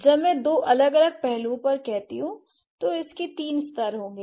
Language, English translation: Hindi, Okay, so these, when I say two different aspects, it will have three levels